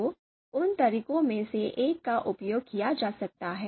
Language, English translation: Hindi, So so one of those methods can be used